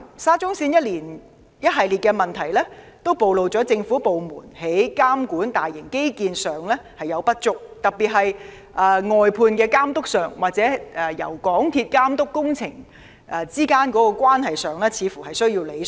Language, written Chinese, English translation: Cantonese, 沙中線項目的一連串問題均暴露政府部門對大型基建項目的監管不足，特別是對承辦商的監管，而港鐵公司與承辦商之間對於監管工程的角色似乎也需要理順。, Such a series of problems in the SCL Project all serve to expose the Governments inadequate monitoring of major infrastructure projects particularly monitoring of contractors . Also the roles of MTRCL and the contractors in terms of project monitoring need to be rationalized